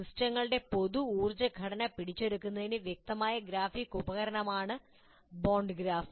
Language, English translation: Malayalam, For example, Barn graph is an explicit graphic tool for capturing the common energy structure of the systems